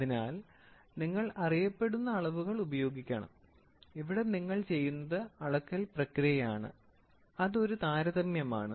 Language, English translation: Malayalam, So, you have Standards and here what you do is the process of measurement happens that is a comparison